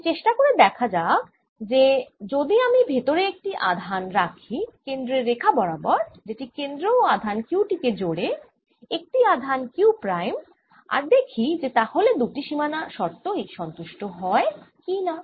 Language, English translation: Bengali, so let us try and see if i put a charge inside along the same line as the centre line which joins these centre of this sphere and the charge q, a charge q prime, and see if i can satisfy both the boundary conditions